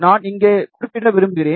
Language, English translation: Tamil, I just want to mention here